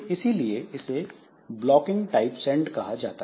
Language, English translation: Hindi, So, this is called blocking type of send